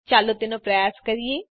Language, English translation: Gujarati, Let us try it